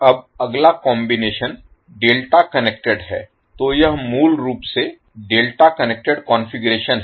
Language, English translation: Hindi, Now next combination is delta connected, so this is basically the delta connected configuration